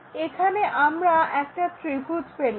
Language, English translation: Bengali, So, what we will see is a triangle there, which is this